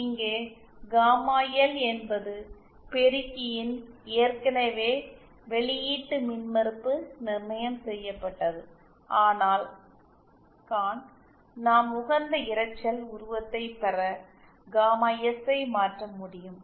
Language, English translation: Tamil, Here the gamma L that is the Output impedance of the amplifier is already fixed but to obtain the optimum noise figure we can modify gamma S